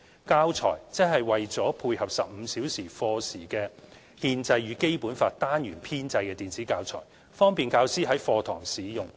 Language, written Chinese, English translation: Cantonese, "教材"則是為配合15小時課時的"憲法與《基本法》"單元編製的電子教材，方便教師在課堂使用。, The teaching resources for Constitution and the Basic Law is a set of electronic teaching materials developed for the 15 - hour Constitution and the Basic Law module